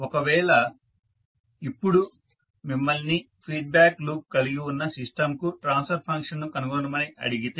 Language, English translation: Telugu, So, now if you are asked to find out the transfer function which is a having feedback loop